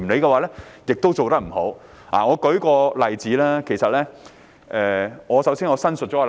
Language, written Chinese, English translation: Cantonese, 我會列舉一個例子，但我想先行申明立場。, I am going to give an example but before that I have to first declare my stance